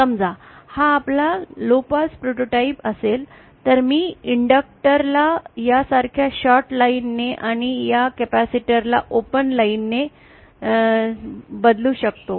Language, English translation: Marathi, If this suppose our low pass prototype then I can replace this inductor by a shorted line like this and this capacitor with an open line like this